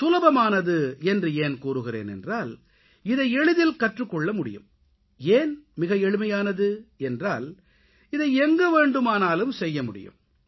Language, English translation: Tamil, It is simple because it can be easily learned and it is accessible, since it can be done anywhere